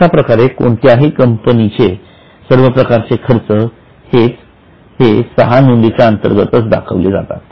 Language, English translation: Marathi, So, all the expenses for any company are to be put under six heads